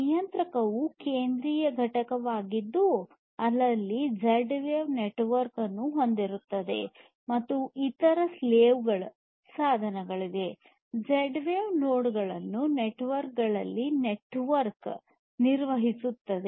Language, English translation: Kannada, The controller is a central entity which sets up the Z wave network and manages other slave devices, the Z wave nodes, in the network